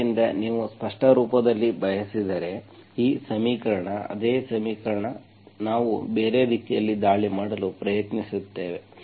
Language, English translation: Kannada, So if you want in explicit form, if you want in explicit form, this equation, same equation, we will try to attack in a different way